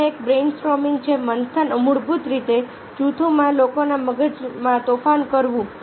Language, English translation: Gujarati, brain storming is a basically storming the brains of people in group